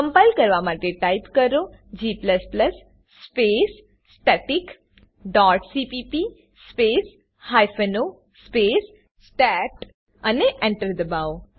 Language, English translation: Gujarati, To compile type g++ space static dot cpp space hyphen o space stat